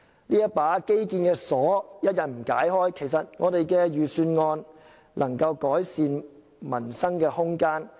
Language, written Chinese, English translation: Cantonese, 這把基建的鎖一日不解開，預算案就未能就改善民生提供空間。, As long as the infrastructure lock remains unlocked the Budget will be unable to provide any room for livelihood improvement